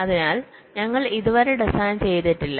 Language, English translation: Malayalam, we are yet to carry out the design